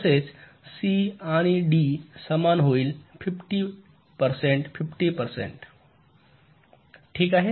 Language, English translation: Marathi, similarly, c and d will be equal, fifty percent, fifty percent, alright